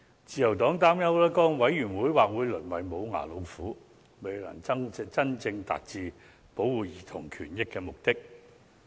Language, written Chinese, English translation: Cantonese, 自由黨擔憂該委員會或會淪為"無牙老虎"，未能真正達致保護兒童權益的目的。, The Liberal Party is worried that the Commission will be reduced to a toothless tiger unable to serve its purpose of protecting childrens rights